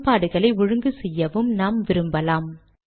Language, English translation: Tamil, And I have written this equation here